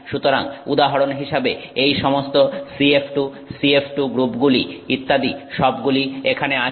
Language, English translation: Bengali, So, so all the CF to CF2 groups, for example, are all here